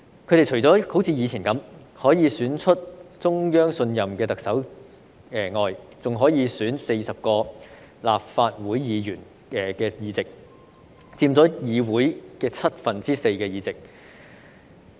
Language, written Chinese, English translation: Cantonese, 他們除可像以前般，選出中央信任的特首外，還可以選出40個立法會議席，佔議會七分之四議席。, EC apart from electing a Chief Executive trusted by the Central Authorities as it did in the past can now elect 40 Members to the Legislative Council accounting for four seventh of all seats